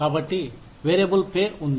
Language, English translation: Telugu, So, there is variable pay